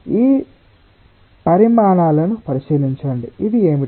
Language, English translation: Telugu, look into these quantities